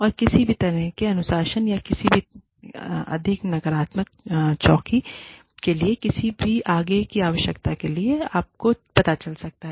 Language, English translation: Hindi, And, any further need for, any kind of discipline, or any further need for, any more negative outpour, could go down, you know